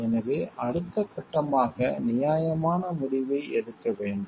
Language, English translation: Tamil, So, next step is being well reasoned make a reasonable decision